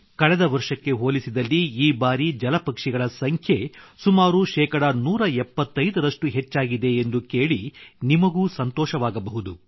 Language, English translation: Kannada, You will also be delighted to know that this time the number of water birds has increased by about one hundred seventy five 175% percent compared to last year